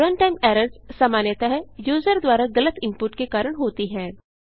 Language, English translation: Hindi, Runtime errors are commonly due to wrong input from the user